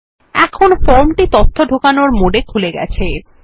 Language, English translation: Bengali, Now the form is open in data entry mode